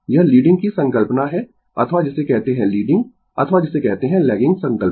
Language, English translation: Hindi, This is the concept of leading or your what you call leading or your what you call lagging concept, right